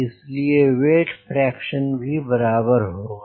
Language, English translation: Hindi, so weight fraction will be also same